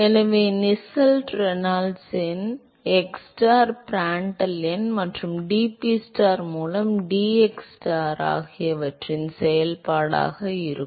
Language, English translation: Tamil, So, Nusselt number will be a function of xstar, Reynolds number, Prandtl number and dPstar by dxstar